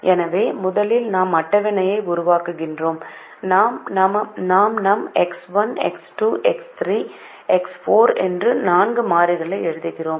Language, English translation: Tamil, so first we create a table where we write the variables x, one, x, two, x